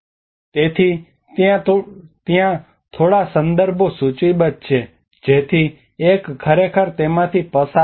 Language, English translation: Gujarati, So there are few references listed out so one can actually go through that